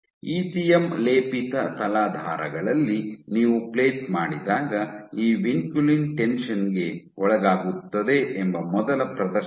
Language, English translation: Kannada, This was the first demonstration that when you plate on ECM coated substrates this vinculin is under tension